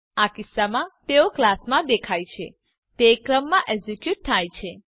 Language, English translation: Gujarati, In this case they execute in the sequence in which they appear in the class